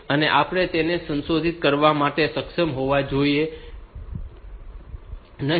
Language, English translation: Gujarati, So, we should not be able to mod modify them